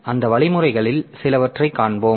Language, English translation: Tamil, We will see some of those algorithms